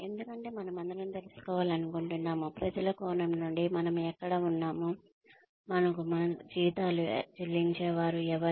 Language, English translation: Telugu, Why because, we all want to know, where we stand, from the perspective of the people, who are paying us, our salaries